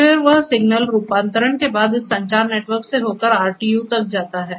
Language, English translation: Hindi, Then that particular signal after conversion flows through this communication network and goes to the PLC, to the RTU